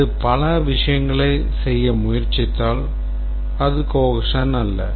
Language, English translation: Tamil, If it tries to do too many things, then it's not cohesive